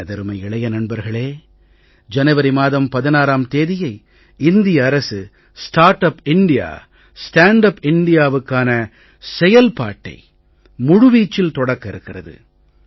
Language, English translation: Tamil, My dear young friends, the government will launch the entire action plan for "Startup India, Standup India on 16th January